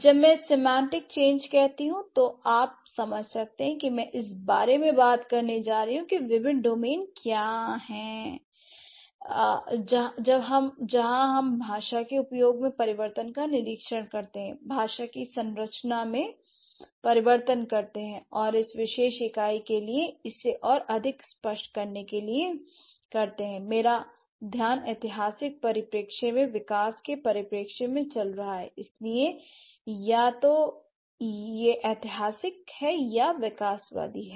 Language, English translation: Hindi, I am going to talk about what are the different or what are the different domains where we observe change in the use of language, change in the structure of language, and to make it more clear, for this particular unit, my focus is going to be on the historical perspective and the developmental perspective